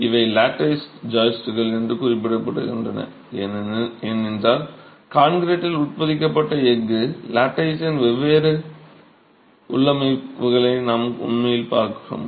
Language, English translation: Tamil, These are referred to as lattice joyce because we are actually looking at different configurations of a steel lattice that's embedded in the concrete